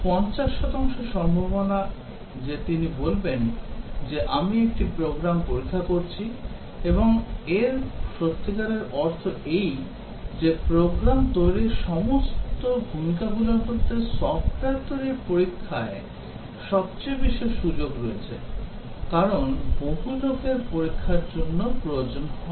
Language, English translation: Bengali, 50 percent chance, that he would say that I am testing a program, and what really it means that among all the rolls in program development, software development testing has maximum opportunity because most man power is needed on testing